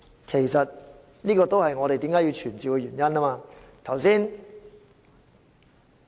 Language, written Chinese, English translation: Cantonese, 其實，這也是我們為何要傳召官員的原因。, In fact this is our reason for summoning the officials